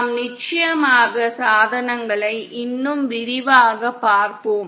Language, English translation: Tamil, We will of course cover devices in more detail